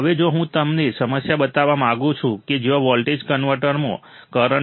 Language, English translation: Gujarati, Now, if I want to show you problem where there is a current to voltage converter